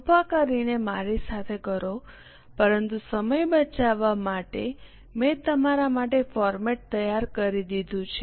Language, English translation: Gujarati, Please do it with me but just to save time I have made the format ready for you